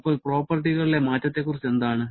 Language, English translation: Malayalam, Now, what about the change in the properties